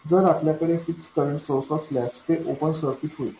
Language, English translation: Marathi, If you have fixed current sources they will become open circuits